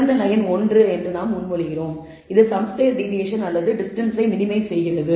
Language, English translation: Tamil, We propose that the best line is 1, which minimizes the deviations some square deviations or the distances